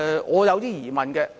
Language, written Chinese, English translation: Cantonese, 我有一些疑問的。, I have doubts about it